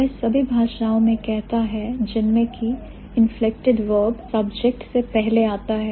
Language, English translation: Hindi, It says in all languages in which the inflected verb precedes the subject